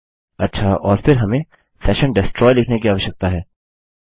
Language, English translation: Hindi, Ok and then we need to say session destroy